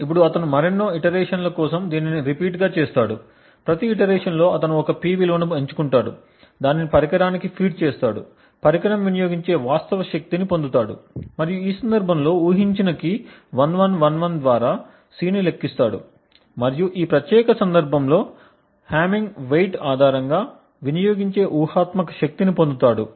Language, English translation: Telugu, Now he repeats this for several more iterations, in each iteration he selects a P value feeds it to the device, gets a corresponding actual power consumed by the device and then for that guessed key which in this case is 1111 computes C and obtains the hypothetical power consumed based on the hamming weight in this particular case